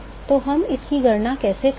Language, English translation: Hindi, So, how do we go for calculating this